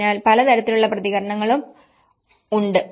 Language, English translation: Malayalam, So, there is a wide variety of responses